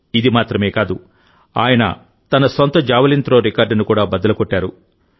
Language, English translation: Telugu, Not only that, He also broke the record of his own Javelin Throw